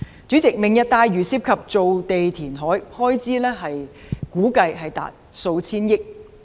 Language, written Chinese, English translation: Cantonese, 主席，"明日大嶼"涉及填海造地，開支估計達數千億元。, President Lantau Tomorrow involves land reclamation and the estimated expenditure is several hundred billion dollars